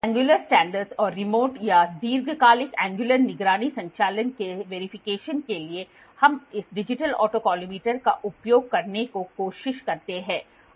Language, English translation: Hindi, The verification of angular standards and remote or long term angular monitoring operations we try to use this digital autocollimator